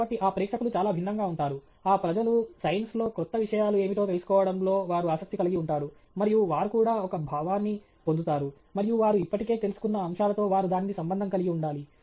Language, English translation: Telugu, So, that audience is very different; they are interested in knowing what are new things in science that people look at and also get a sense, and they should be able to relate it to aspects that they are already aware of